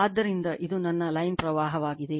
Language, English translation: Kannada, So, this is my your so line current